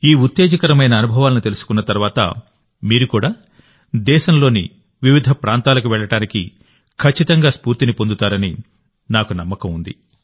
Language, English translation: Telugu, I hope that after coming to know of these exciting experiences, you too will definitely be inspired to travel to different parts of the country